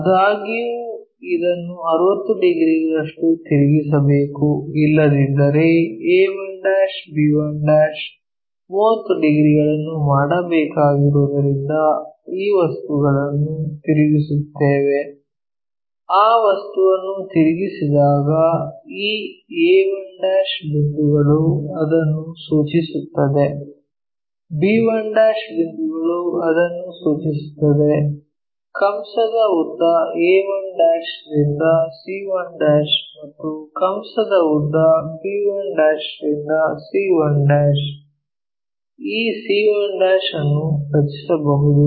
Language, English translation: Kannada, However, this has to be turned around by 60 degrees otherwise a 1', b 1' has to make 30 degrees up to that we will rotate this object, when we rotate that object this a 1 point map to that, b 1 point map to that, c 1 point a 1 to c 1 whatever the arc b 1' to c 1' whatever the arc can construct this c 1'